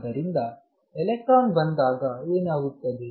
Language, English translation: Kannada, So, what happens when electron comes in